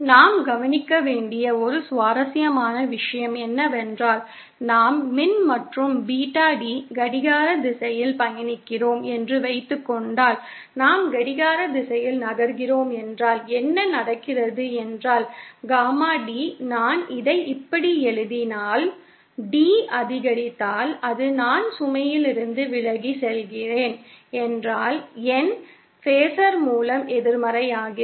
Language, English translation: Tamil, An interesting thing that we note is that if suppose we travel electrical and Beta D in clockwise direction, if we are moving in the clockwise direction, then what is happening is that Gamma D, if I write it like thisÉ If D increases, that is if I am moving away from the load, then my phasor becomes more negative